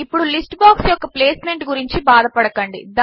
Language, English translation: Telugu, Do not worry about the placement of the list box now